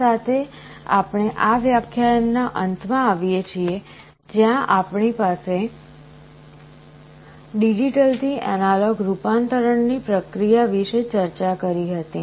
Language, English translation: Gujarati, With this we come to the end of this lecture where we had discussed the process of digital to analog conversion